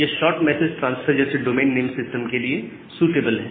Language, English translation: Hindi, And it is suitable for short message transfer just like the domain name system